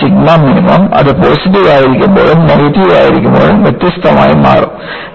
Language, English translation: Malayalam, So, the sigma minimum will become differently; when it is positive, when it is negative